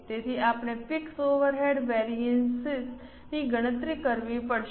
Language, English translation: Gujarati, So, we will have to compute the fixed overhead variances